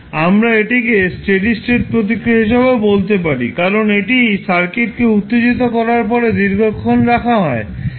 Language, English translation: Bengali, We also say this as a steady state response because it remains for a long time period after the circuit is excited